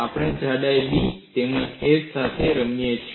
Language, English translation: Gujarati, We can play with thickness B as well as h